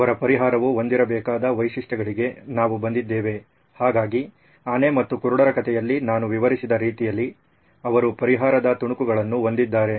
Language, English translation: Kannada, We arrived at the features that their solution should have, so they have sort of what I describe in my elephant and the blind men story